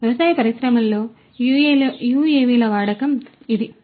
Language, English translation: Telugu, So, this is the use of UAVs in the agricultural industries